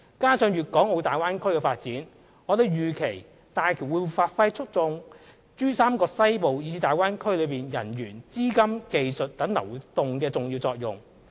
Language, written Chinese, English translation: Cantonese, 加上粵港澳大灣區的發展，我們預期大橋會發揮促進珠三角西部以至大灣區內人員、資金、技術等流動的重要作用。, Given also the development of the Guangdong - Hong Kong - Macau Bay Area we anticipate that HZMB will play an important role in fostering the flow of people capital technology and so on in the Western Pearl River Delta and the Bay Area . The Government will closely monitor the usage rate of HZMB